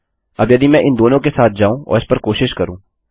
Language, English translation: Hindi, Now if I go with both of them and try it out